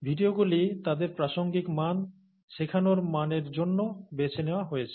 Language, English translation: Bengali, The videos have been chosen for their didactic value, for their, for their value to teach